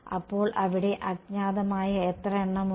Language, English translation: Malayalam, So, how many unknowns are there